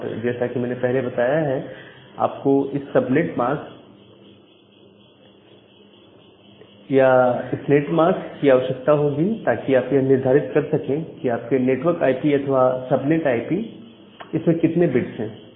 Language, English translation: Hindi, And as I mentioned that you require this netmask or subnet mask to determine that how many number of bits are there to denote your network IP or the subnet IP